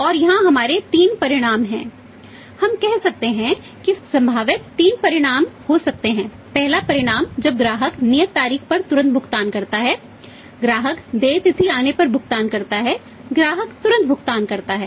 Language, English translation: Hindi, And here we have three outcomes we can say that there can be possible three outcomes first outcome with customer customer pays promptly on the due date customer pays when the it comes due date customer pays promptly